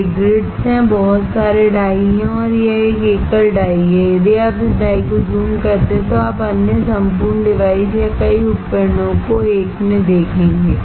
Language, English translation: Hindi, These are grids, there are so many dies and this is a single die and if you magnify this die, you will see other whole device or many devices into one